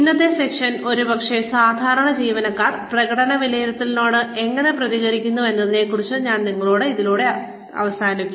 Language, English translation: Malayalam, Today, we will end the session, with maybe, I will tell you about, how typical employees respond to performance appraisals